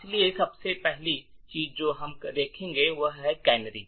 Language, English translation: Hindi, So, the first thing we will look at is that of canaries